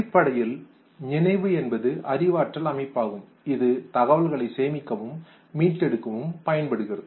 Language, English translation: Tamil, Therefore memory basically is our cognitive system which is used for storing and retrieving the information